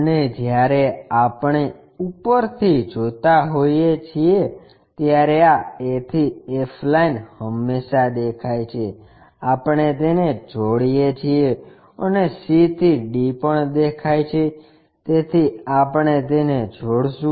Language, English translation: Gujarati, And when we are looking from top view this a to f line always be visible, we join it, and c to d also visible, so we join that